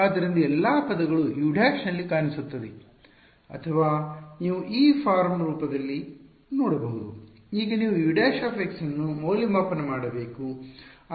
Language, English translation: Kannada, So, which all terms will appear in U prime or you can look at this form look at this form of U of x now you have to evaluate U prime of x